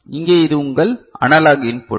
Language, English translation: Tamil, So, here this is your this analog input right